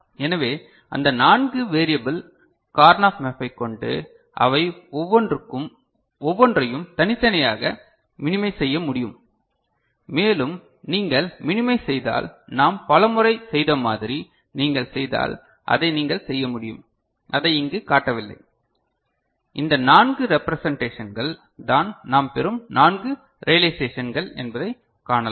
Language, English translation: Tamil, So, with that four variable Karnaugh map we can have a minimized presentation each of them individually minimized and if you go for the minimization which we have done many times before I have not shown that minimization here, but you can work it out yourself and you can see that these are the four representations the four realizations that we’ll get – clear, ok